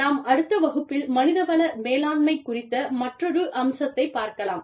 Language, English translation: Tamil, And, we will move on, to another aspect of human resources management, in the next class